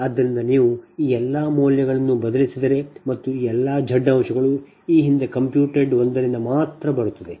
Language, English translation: Kannada, so once you substitute all this values and this, all this z elements will come from this previously computed one, from here only